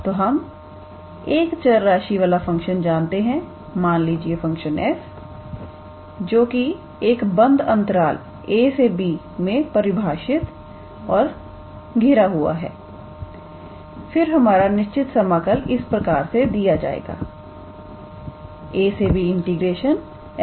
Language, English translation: Hindi, So, we know that a function for the function of one variable; let us say a function f which is defined and bounded on a closed interval a comma b then our definite integral was given by integral from a to b f x dx